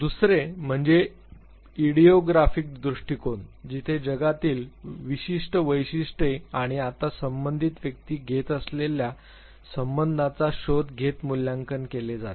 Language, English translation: Marathi, The other is the idiographic approach where evaluation is done looking at the unique features of the world and the relationship that the individual concerned takes now